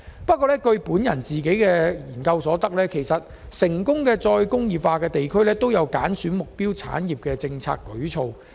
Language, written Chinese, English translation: Cantonese, 不過，我所進行的一項研究發現，成功的再工業化地區均有揀選目標產業的政策舉措。, Yet the findings of my study showed that all places that have achieved success in re - industrialization had formulated policies for identifying target industries